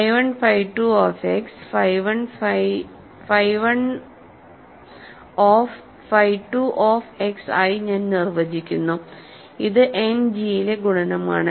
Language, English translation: Malayalam, I define phi 1 phi 2 of x to be phi 1 of phi 2 of x, this is the multiplication in End G right